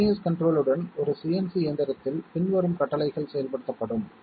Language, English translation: Tamil, In a CNC machine with continuous control, the following commands are executed